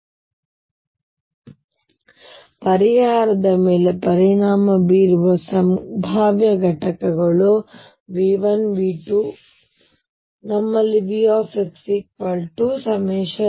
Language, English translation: Kannada, So, the potential components that affect the solution are the components V 1 V 2 and so on